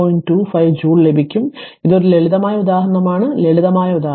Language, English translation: Malayalam, 25 joule right it is a simple example simple example